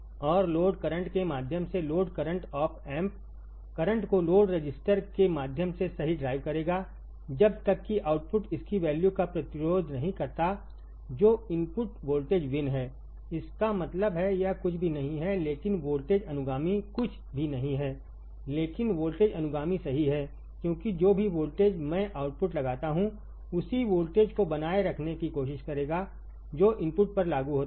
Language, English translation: Hindi, And the load current through the load the op amp will drive the current through the load register right until the output resists its value which is input voltage V in; that means, it is nothing, but it is nothing, but a voltage follower is nothing, but a voltage follower right because whatever voltage, I apply the output will try to maintain the same voltage which is applied at the input